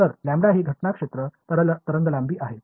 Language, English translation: Marathi, So, lambda is incident field wavelength